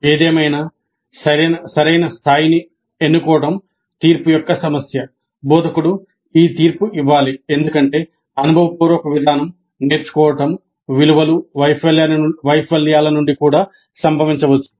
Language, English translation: Telugu, However the choice of what is the right level is an issue of judgment instructor has to make this judgment because experiential approach values learning that can occur even from failures